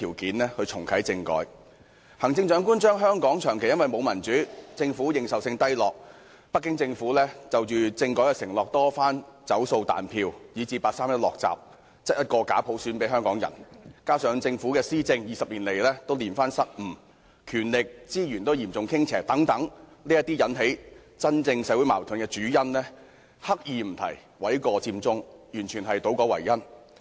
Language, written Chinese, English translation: Cantonese, 對於引起社會矛盾的真正主因，例如香港長期無法享有民主，政府認受性低落，北京政府就政改的承諾多番"走數"、"彈票"，以至八三一決定"落閘"，把假普選硬塞給香港人，以及政府的施政20年來連番失誤，權力及資源均嚴重傾斜等，行政長官刻意迴避，諉過佔中，這完全是倒果為因。, The Chief Executive deliberately skips the real causes of social conflicts the perennial lack of democracy in Hong Kong the Governments low legitimacy the Beijing Governments broken promises on constitutional reform the imposition of fake universal suffrage on Hong Kong people by the door - shutting 31 August Decision the whole series of government blunders over the past 20 years the lopsided balance of power and resources distribution and so on . She instead puts all the blame on Occupy Central . This is simply an attempt to confound the causes and the results